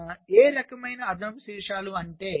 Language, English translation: Telugu, so what kind of four additional vertices